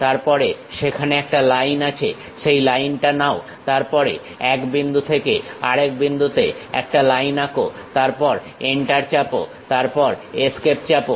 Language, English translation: Bengali, Then there is a Line, pick that Line, then from one point to other point draw a line then press Enter, then press Escape